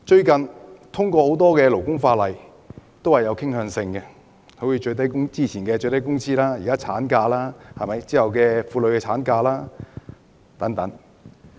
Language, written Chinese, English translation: Cantonese, 近日通過的多項勞工法例均有傾向性，例如有關最低工資的法例和現時的侍產假法案。, The numerous labour laws enacted in recent days have inclinations such as the legislation on minimum wage and the bill on paternity leave under discussion